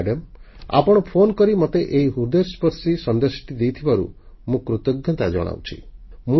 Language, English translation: Odia, Madam I am grateful to you for calling me with this touching message